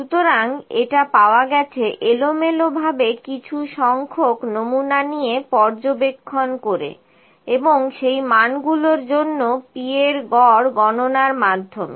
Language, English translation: Bengali, So, it is obtained by taking the number of samples of observations at a random and computing the average P across the values